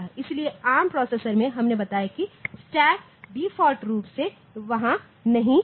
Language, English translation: Hindi, So, in arm processor we have I have told that the stack is not there by default